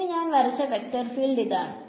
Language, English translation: Malayalam, Now my vector field that the way I have drawn it